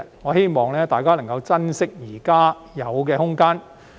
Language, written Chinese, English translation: Cantonese, 我希望大家能夠珍惜現有的空間。, I hope that Members can cherish the existing latitude